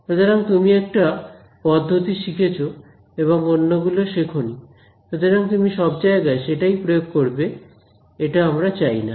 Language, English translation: Bengali, So, you learn one technique and you have not studied other techniques, so, you applied everywhere we do not want to do that